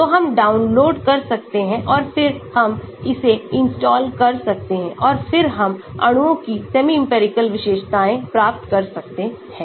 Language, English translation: Hindi, so we can download and then we can install that and then we can get the semi empirical features of molecules